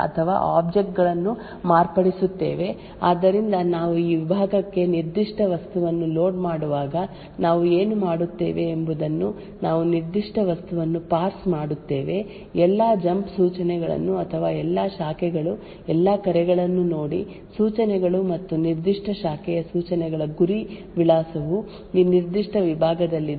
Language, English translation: Kannada, So there are a couple of ways to do this, so what we do is that we modify the untrusted executable or object at the load time so what we do is we while loading a particular object into this segment we parse that particular object look out for all the jump instructions or all the branches all the call instructions and ensure that the target address for those particular branch instructions all are within this particular segment, so therefore we call this as legal jumps